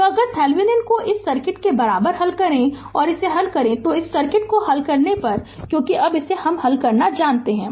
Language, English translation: Hindi, So, if you solve the Thevenin equivalent this circuit, if you solve this if you solve this circuit right you solve it because now you know how to solve it right